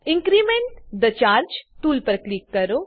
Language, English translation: Gujarati, Click on Increment the charge tool